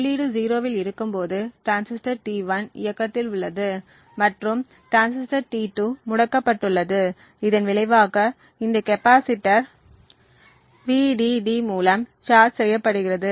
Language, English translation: Tamil, So, when the input is at 0, the transistor T1 is ON and transistor T2 is OFF and as a result the capacitor gets charged through this Vdd thus we have the output which is 1